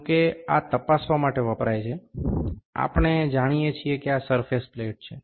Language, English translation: Gujarati, However, this is used to check, those we know this is the surface plate